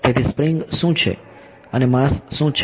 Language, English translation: Gujarati, So, what is the spring and what is the mass